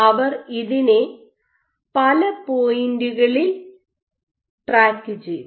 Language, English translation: Malayalam, So, they tracked at multiples points